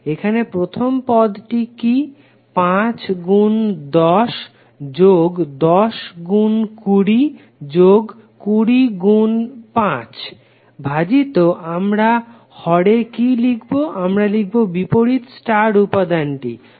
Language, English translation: Bengali, So here what would be the first element, 5 into 10 plus 10 into 20 plus 20 into 5 divided by what we write in the denominator, we write the opposite star element